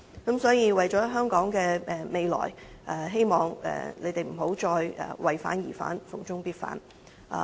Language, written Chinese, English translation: Cantonese, 因此，為了香港的未來，希望你們不要再"為反而反"、"逢中必反"。, Therefore for the future of Hong Kong I hope they will stop opposing for the sake of opposition and stop opposing China on every front